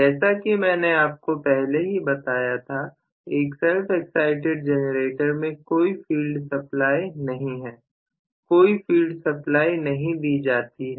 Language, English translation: Hindi, So, as I told you earlier in self excited generator there is no field supply no field supply will be given